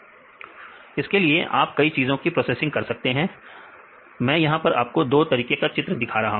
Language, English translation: Hindi, Likewise if there are several image processing you can do the images we can scan several images here I show two types of images right